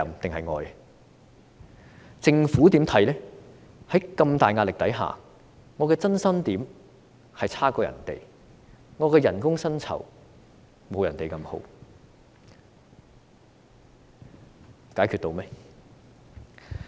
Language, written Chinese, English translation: Cantonese, 在如此大的壓力下，我的增薪點比別人差，我的薪酬不及別人好，解決到問題嗎？, Under such great pressure I have come off worse than others in terms of remuneration and salary increment . Has the problem been resolved?